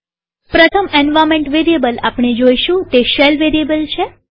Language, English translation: Gujarati, The first environment variable that we would see is the SHELL variable